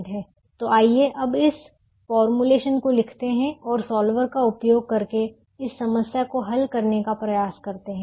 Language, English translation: Hindi, so let's now right this formulation and try to solve this problem using the solver